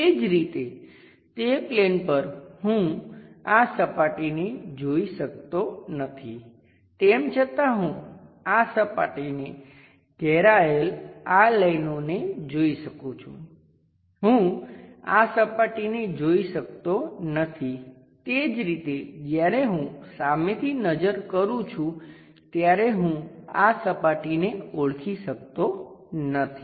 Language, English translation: Gujarati, Similarly, on that plane I can not visualize this surface, though I can visualize these lines bounding this surface I can not visualize these surfaces, similarly I can not identify these surfaces when I am looking from front view